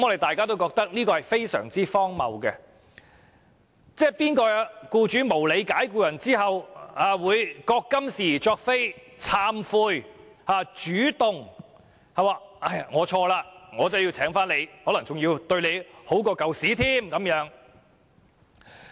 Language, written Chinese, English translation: Cantonese, 這是極之荒謬的安排，哪有僱主在無理解僱後會自覺今是而昨非，懂得認錯懺悔，主動重新聘用相關僱員，而且比以前善待僱員？, Will there be any employers willing to admit and confess their wrongdoings after unreasonable dismissal and voluntarily re - engage their employees and become nicer to them?